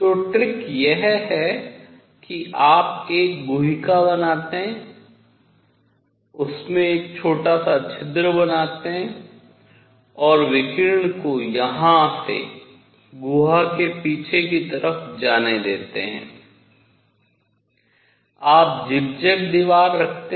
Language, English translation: Hindi, So, the trick is you make a cavity, make a small hole in it and let radiation go in from here on the back side of the cavity, you put zigzag wall